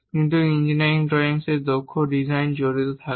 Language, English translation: Bengali, And engineering drawing helps in achieving such kind of drawings